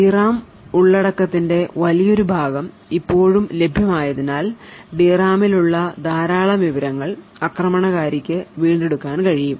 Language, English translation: Malayalam, Since a large portion of the D RAM content is still available a lot of information present in the D RAM can be retrieved by the attacker